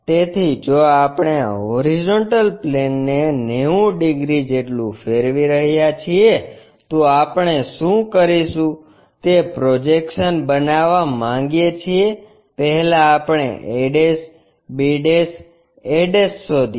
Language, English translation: Gujarati, So, if we are rotating this horizontal plane by 90 degrees would like to show the projections what we do is, first we locate a', b', a'